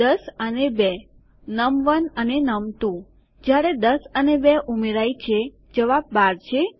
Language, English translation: Gujarati, 10 and 2, num1 and num2, when 10 and 2 are added, the answer is 12